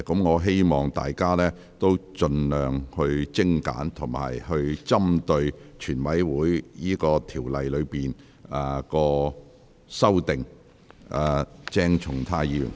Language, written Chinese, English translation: Cantonese, 我希望委員發言時盡量精簡，並針對《條例草案》的條文及修正案發言。, I hope Members can be as concise as possible when they speak and focus on the clauses of and amendments to the Bill